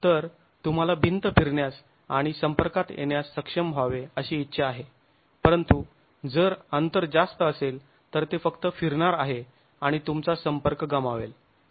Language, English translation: Marathi, So, you want the wall to be able to rotate and come into contact, but if the gap is too much, it's just going to rotate and you will lose contact